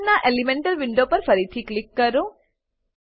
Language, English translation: Gujarati, Click again on the Elemental window of Carbon